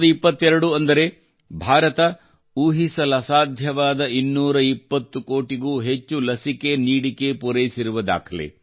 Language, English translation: Kannada, the record of India surpassing the incredible figure of 220 crore vaccines; 2022,i